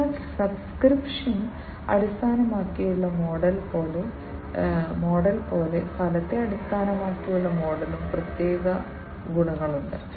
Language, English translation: Malayalam, So, like the subscription based model, there are separate distinct advantages of the outcome based model as well